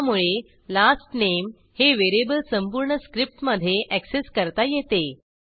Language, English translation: Marathi, So, the variable last name can be accessed throughout the script